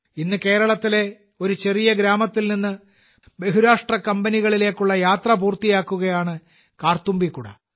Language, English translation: Malayalam, Today Karthumbi umbrellas have completed their journey from a small village in Kerala to multinational companies